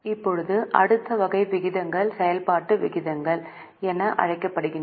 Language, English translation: Tamil, Now, the next type of ratios are known as activity ratios